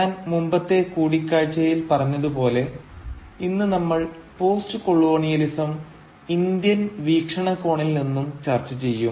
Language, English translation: Malayalam, As I said in our previous meeting, that today we will start discussing postcolonialism from the Indian perspective